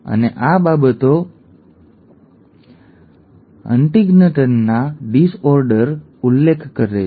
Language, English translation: Gujarati, And these things refer to the HuntingtonÕs disorder